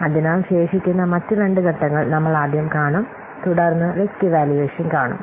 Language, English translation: Malayalam, So the other remaining two steps are we will see first, then we will see the risk evaluation